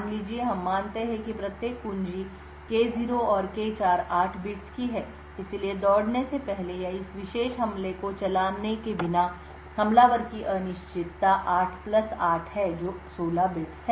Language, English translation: Hindi, Suppose we assume that each key K0 and K4 is of 8 bits, therefore before running or without running this particular attack the uncertainty of the attacker is 8 plus 8 that is 16 bits